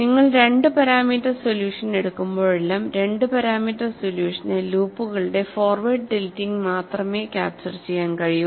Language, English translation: Malayalam, Whenever you go for a two parameter solution, the two parameters solution can capture only the forward tilting of loops; it cannot capture the frontal loops that you see in an experiment